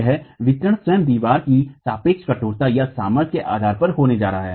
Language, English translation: Hindi, This distribution is going to be on the basis of the relative stiffness or strength of the walls themselves